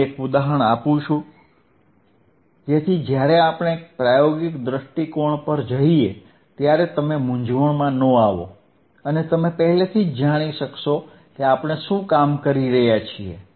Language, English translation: Gujarati, So so, that when we go to the experimental point of view, you will not get confused and you will already know that what we are working on